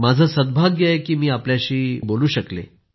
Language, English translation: Marathi, Am fortunate to have spoken to you